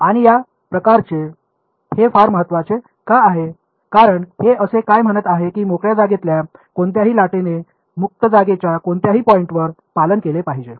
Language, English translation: Marathi, And why is this sort of very important is because, what is it saying this is the condition obeyed by a wave in free space any points in free space agree